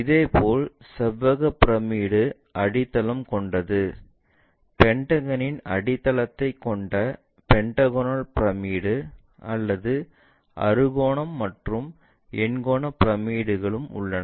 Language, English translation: Tamil, Similarly, rectangular pyramid having base pentagonal pyramid having a base of pentagon, and ah hexagonal and octagonal pyramids also